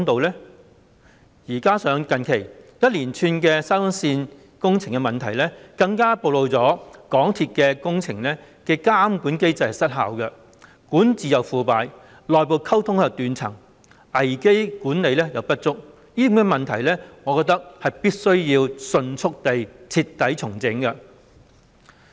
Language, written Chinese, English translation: Cantonese, 再加上最近一連串沙中線的工程問題，更暴露了港鐵公司的工程監管機制失效，管治腐敗，內部溝通斷層，危機管理不足，我認為這些問題必須迅速徹底整頓。, In addition the recent litany of engineering problems hitting SCL has further exposed MTRCLs ineffectiveness in its works supervision system corruption in governance disconnection in internal communication and inadequacy in crisis management . I hold that these problems have to be promptly and thoroughly rectified . Recently the scandals around the works of SCL have been growing in size